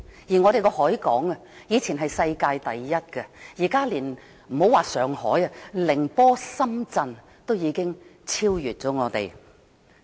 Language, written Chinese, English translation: Cantonese, 香港的海港，以前是世界第一，現在別說是上海，連寧波、深圳都已經超越香港。, The harbour of Hong Kong used to be the worlds number one but it has now been overtaken by Ningbo and Shenzhen not to mention Shanghai